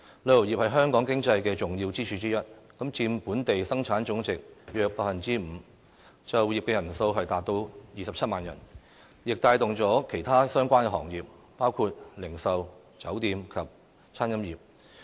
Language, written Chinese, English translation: Cantonese, 旅遊業是香港經濟的重要支柱之一，佔本地生產總值約 5%， 就業人數達27萬人，亦帶動了其他相關行業，包括零售、酒店及餐飲業。, The tourism industry employing 270 000 people locally is an important pillar of Hong Kongs economy . Tourism not only accounts for about 5 % of our gross domestic product but also gives boost to other related sectors including retail hotel and catering industries